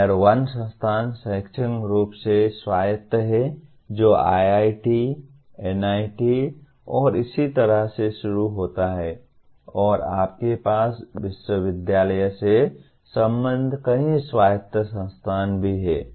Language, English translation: Hindi, Tier 1 institute is academically autonomous starting with IITs, NITs and so on and also you have several autonomous institutions affiliated to university